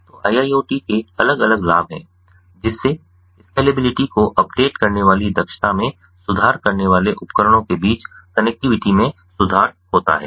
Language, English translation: Hindi, so there are different benefits of iiot: improving the connectivity among devices, improving efficiency, updating the scalability